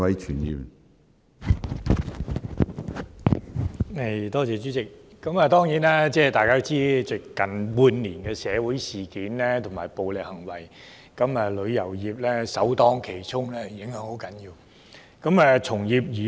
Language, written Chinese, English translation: Cantonese, 主席，大家當然都知道近半年的社會事件及暴力行為令旅遊業首當其衝，受極大的影響。, President we certainly know that the tourism industry has taken the brunt of the social events and violence in the recent six months which has suffered a great blow